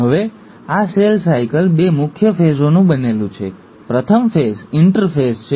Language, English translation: Gujarati, Now, so, this cell cycle consists of two major phases; the first phase is the ‘interphase’